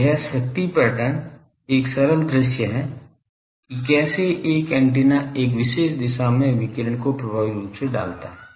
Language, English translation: Hindi, So, this power pattern is a simple visualization of how effectively antenna puts it is radiation in a particular direction